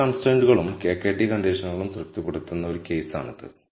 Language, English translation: Malayalam, So, this is a case where all constraints and KKT conditions are satis ed